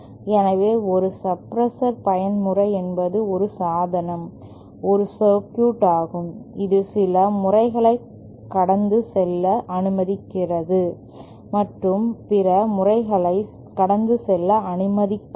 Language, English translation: Tamil, So, a mode suppressor is a device is a circuit which allows certain modes to pass through and does not allow other modes to pass through